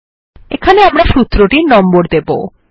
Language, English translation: Bengali, Here we will also number the formulae